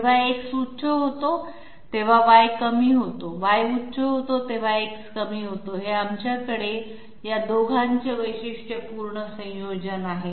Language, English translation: Marathi, While X becomes high Y becomes low, Y becomes high X becomes low, this is the typical combination that we have for these 2